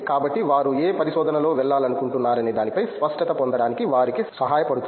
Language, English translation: Telugu, So, that would help them get a clarity as to what area of research they want to go in so